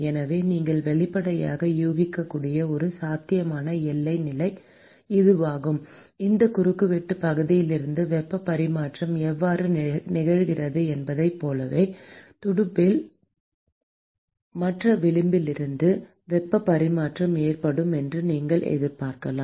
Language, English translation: Tamil, So, that is one possible boundary condition that you would obviously guess that just like how heat transfer is occurring from this cross sectional area, you would expect that the heat transfer would occur from the other edge of the fin as well